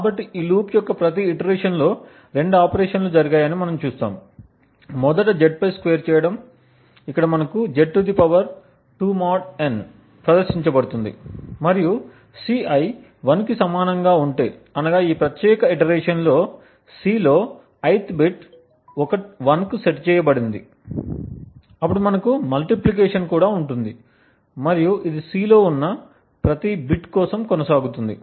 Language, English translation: Telugu, So in each iteration of this loop we see that there are two operations that are performed, first is a squaring on Z, where we have (Z^2 mod n) that is performed and if Ci is equal to 1 that is if the ith bit in C in this particular iteration is set to 1, then we also have a multiplication and this goes on for every bit present in C